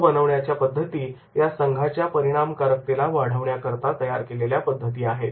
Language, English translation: Marathi, Group building methods are training methods designed to improve team or group effectiveness